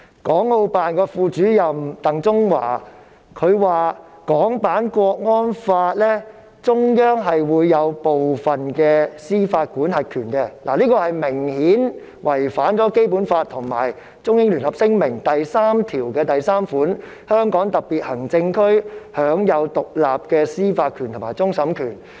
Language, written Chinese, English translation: Cantonese, 港澳辦副主任鄧中華表示，中央在港區國安法有司法管轄權，這明顯違反《基本法》及《中英聯合聲明》第三條第三款：香港特別行政區享有獨立的司法權及終審權。, DENG Zhonghua Deputy Director of HKMAO said that the Central Peoples Government has jurisdiction over the national security law . This obviously contravenes the Basic Law and paragraph 33 of the Joint Declaration which states that the Hong Kong SAR will be vested with independent judicial power including that of final adjudication